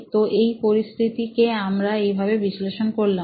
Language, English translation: Bengali, So, in this case this is what our analysis of the situation was